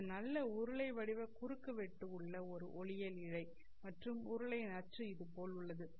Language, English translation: Tamil, This has a nice cylindrical cross section and there is an axis of the cylinder along like this